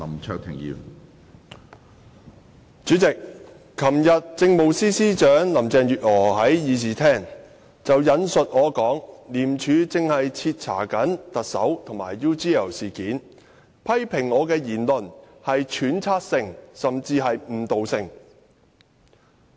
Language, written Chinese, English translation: Cantonese, 主席，昨天政務司司長林鄭月娥在議事廳引述我的說話："廉署正徹查特首及 UGL 事件"，並批評我的言論屬揣測性，甚至誤導性。, President yesterday Chief Secretary for Administration Carrie LAM cited my remarks in the Chamber that The Independent Commission Against Corruption ICAC is investigating the Chief Executive and the UGL incident and she criticized that my remark was speculative and even misleading